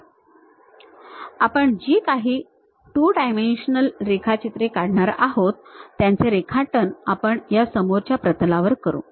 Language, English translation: Marathi, So, whatever the 2 dimensional drawings we go we are going to do we will do it on this front plane